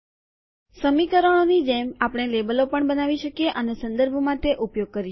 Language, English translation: Gujarati, As in equations, we can also create labels and use them for referencing